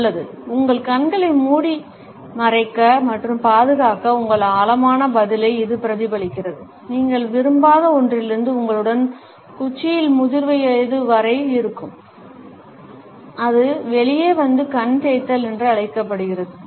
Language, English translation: Tamil, Well, as it turns out that responds that ingrained response to cover and shield your eyes from something that you do not like sticks with you all the way through to adulthood and it comes out and something known as the eye rub